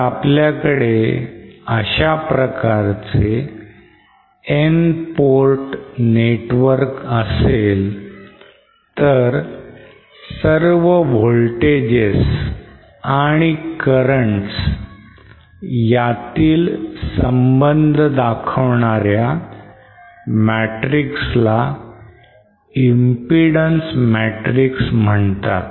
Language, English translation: Marathi, If we say have an N port network with various ports as shown like this, then the matrix that relates all these voltages and currents to each other is called a impedance matrix